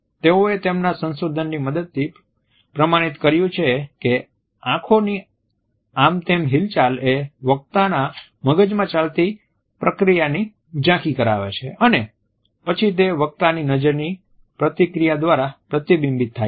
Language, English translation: Gujarati, They have authenticated with the help of their research that the random movement of the eyes indicate the background processes which are running through the mind of the speaker and then this is reflected through the direction of gaze